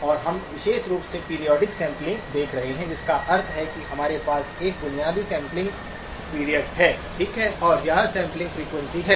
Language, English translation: Hindi, And we are going to be exclusively looking at periodic sampling, which means that we have an underlying sampling period, okay, and a sampling frequency